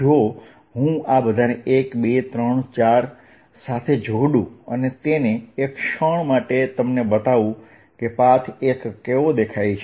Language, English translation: Gujarati, if i add all this together, one, two, three, four, if i add all this together, for a moment i'll just show you what it look like